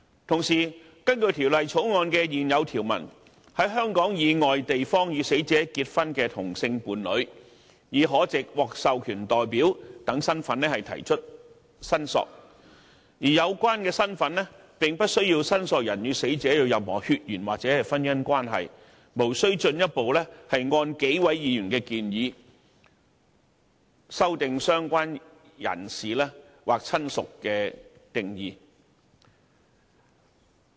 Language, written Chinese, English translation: Cantonese, 同時，根據《條例草案》的現有條文，在香港以外地方與死者結婚的同性伴侶已可藉"獲授權代表"等身份提出申索，而有關身份並不需要申索人與死者有任何血緣或婚姻關係，無須進一步按幾位議員的建議修訂"相關人士"或"親屬"的定義。, Besides under the existing provisions of the Bill a same - sex partner married at a place outside Hong Kong may already claim for the return of the ashes of the deceased person in the capacity of an authorized representative which does not require the claimant to have any connection with the deceased person by blood or marriage . Thus it is not necessary to amend the definitions of related person or relative as proposed by the Members